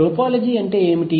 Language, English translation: Telugu, What do you mean by topology